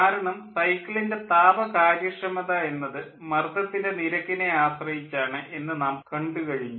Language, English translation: Malayalam, because we have seen that the efficiency, thermal efficiency of the cycle is dependent on pressure ratio